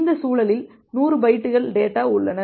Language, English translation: Tamil, This context contain contains 100 bytes of data